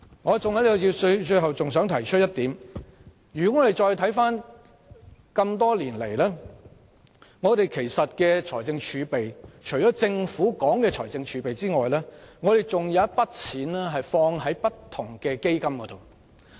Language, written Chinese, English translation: Cantonese, 我最後想提出的一點是回顧多年來的預算案，除了政府提到的財政儲備外，其實還有一些錢投放在不同基金。, The last point I wish to make is that looking back at the budgets over the years apart from the fiscal reserves mentioned by the Government some money actually goes to various funds